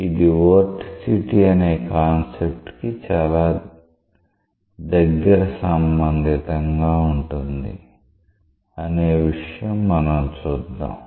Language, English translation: Telugu, So, and we will see that it is very much related to the concept of vorticity, how it is related to that